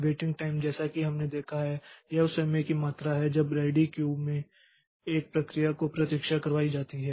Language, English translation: Hindi, Waiting time as we have seen so it is the amount of time a process is made to wait in the ready queue